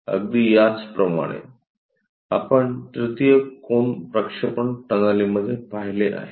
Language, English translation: Marathi, Similarly, we have looking in the 3rd angle projection